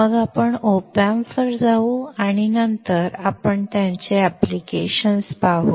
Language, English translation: Marathi, Then we will go to the op amp and then we will see their applications